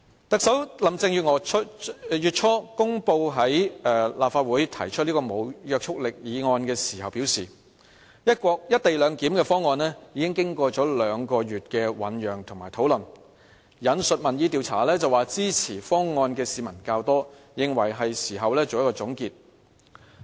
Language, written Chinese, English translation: Cantonese, 特首林鄭月娥月初公布在立法會提出此項無約束力議案的時候表示，"一地兩檢"的方案已經有兩個月的醞釀及討論，並引述民意調查指，支持方案的市民較多，認為是時候作出總結。, In announcing the Governments plan to introduce this non - legally binding motion to the Legislative Council early this month Chief Executive Carrie LAM said the co - location proposal has been mooted and discussed for two months . She also quoted public opinion polls as saying that people in support of the proposal have outnumbered those against it . Hence she considered it was time to conclude the public discussion